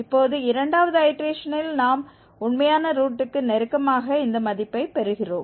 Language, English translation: Tamil, 20 and now in the second iteration itself we are getting the value which is close to the actual root